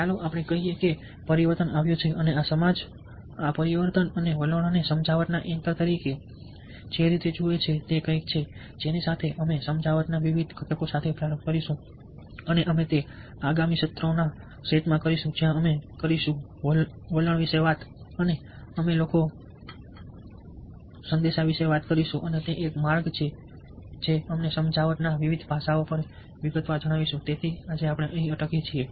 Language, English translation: Gujarati, change and attitudes as anchors to persuasion is something with which we will start off, with different components of persuasion, and we will do that in the next set of sessions, where we will talk about attitude, we will talk about people, we will talk about message and that is a way we will detail out the different aspects of persuasion